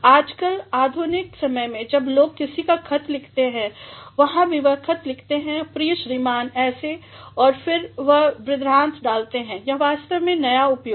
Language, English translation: Hindi, Nowadays, in modern times when people write somebody a letter there also they write dear mister such and then they put a colon, this is actually the new use